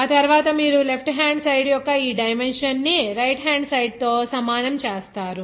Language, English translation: Telugu, After that just you equalize this dimension, power of these dimensions of this left hand side to the right hand side